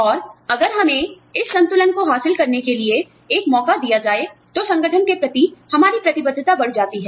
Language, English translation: Hindi, And, if we are given an opportunity, to achieve this balance, our commitment to the organization, increases